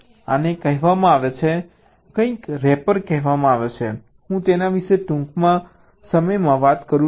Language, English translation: Gujarati, this is called something call a rapper i just talk about it shortly